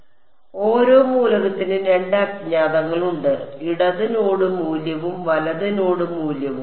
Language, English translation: Malayalam, So, every element has two unknowns, the left node value and the right node value